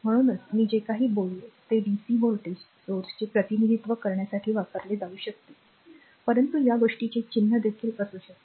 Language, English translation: Marathi, So, that is why the; whatever I said that can be used to represent dc voltage source, but the symbol of this thing can also